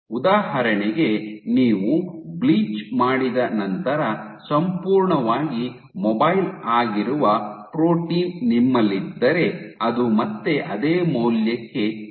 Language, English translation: Kannada, So, in this case for example, if you had a protein which was fully mobile then after you bleach it will come down come back to the same value